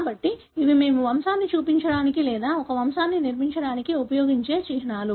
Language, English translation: Telugu, So, these are the symbols that we use to show the pedigree or to construct a pedigree